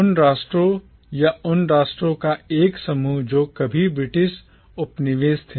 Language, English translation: Hindi, A grouping of those nations or those nation states which were once British colonies